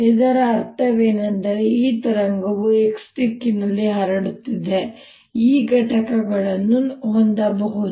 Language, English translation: Kannada, what it means is: i have this wave propagating in the x direction, then e can have components